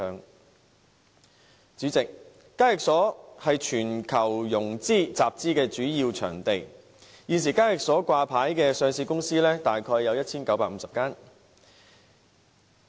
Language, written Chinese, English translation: Cantonese, 代理主席，港交所是全球融資和集資的主要場地，現時在港交所掛牌的上市公司約有 1,950 間。, Deputy President HKEx is a major financing and capital - raising venue in the world . At present there are 1 950 listed companies on HKEx